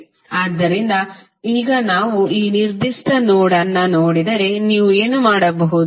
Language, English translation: Kannada, So, now if you see this particular node, what you can see